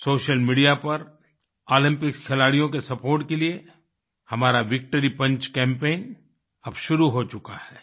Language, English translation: Hindi, On social media, our Victory Punch Campaign for the support of Olympics sportspersons has begun